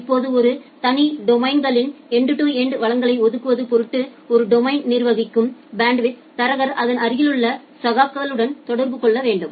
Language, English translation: Tamil, Now in order to achieve an end to end allocation of resources across separate domains, the bandwidth broker managing a domain will have to communicate with its adjacent peers